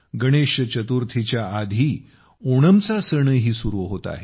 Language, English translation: Marathi, The festival of Onam is also commencing before Ganesh Chaturthi